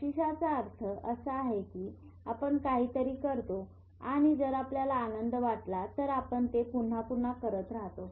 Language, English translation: Marathi, Reward center means if you do something and if you feel pleasure you will keep doing it again and again